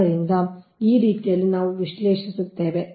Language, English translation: Kannada, so this way we will analyse